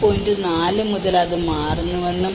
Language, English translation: Malayalam, 4 and then it goes on to 4